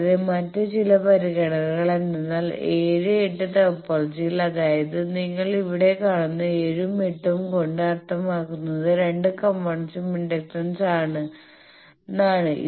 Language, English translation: Malayalam, So that means, and also some other considerations is that topology 7, 8 topology, you see here 7 and 8 means both that components are inductance